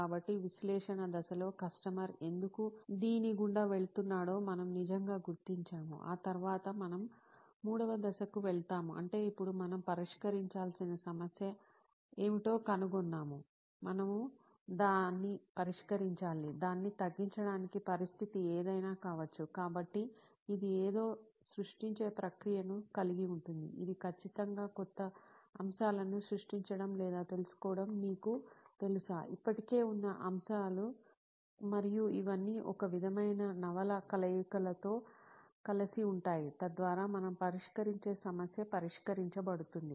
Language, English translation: Telugu, So in analysis stage we actually figure out what is going on underneath why is the customer going through this, then after that we move on to the third stage, which is, now that we figured out what is the problem we have to solve, we have to fix it, we have to think of ways to mitigate it, reduce it, whatever could be the situation, so this involves the process of creating something, it could be creating absolutely new stuff or taking, you know, existing stuff and putting it all together in a sort of novel combinations, so that the problem that we are addressed is solved